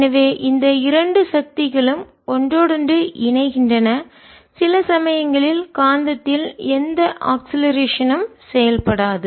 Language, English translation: Tamil, so this two forces interpolate and after sometimes the, there is ah, no acceleration acting on the magnet